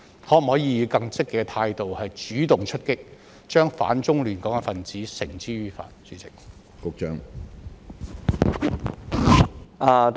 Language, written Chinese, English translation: Cantonese, 可否以更積極的態度主動出擊，將反中亂港分子繩之於法？, Can the Police take a more proactive approach to bring the anti - China destabilizing elements to justice?